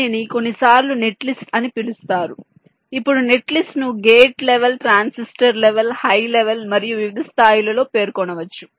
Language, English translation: Telugu, now a net list can be specified at various level, like gate level, transistor level, higher level and so on